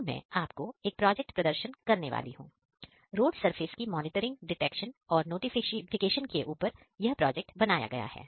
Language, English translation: Hindi, So, I am going to demonstrate a project, the project is road surface monitoring detections and notifications